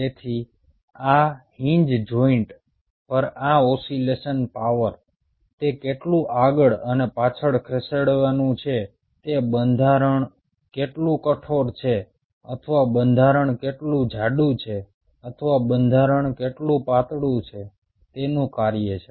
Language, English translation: Gujarati, so this oscillation power at this hinge joint, how much it is going to move back and forth, is a function of how rigid the structure is or how thick the structure is or how thinner the structure is